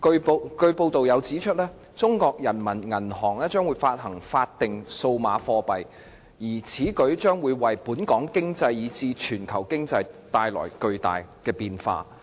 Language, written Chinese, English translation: Cantonese, 報道又指出，中國人民銀行將會發行法定數碼貨幣，而此舉將會為本港經濟以至全球經濟帶來巨大的變化。, It has also been reported that the Peoples Bank of China PBoC will issue a statutory digital currency and such a move will bring mammoth changes to both the Hong Kong and global economies